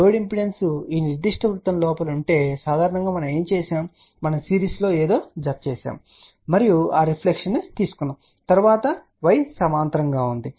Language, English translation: Telugu, Suppose if the load impedance was in this particular circle generally what we did we added something in series and then we took that reflection and then y was in parallel